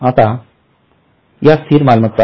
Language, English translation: Marathi, So, these are fixed assets